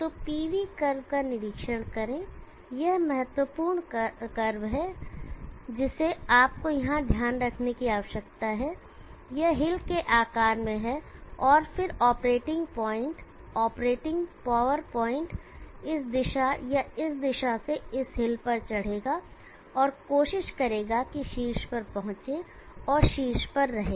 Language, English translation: Hindi, So observe the PV curve this is the important curve that you need to note here, this is in the shape of hill and then the operating point the operating power point will climb this hill either from this direction or this direction and try to reach the top and stay in the top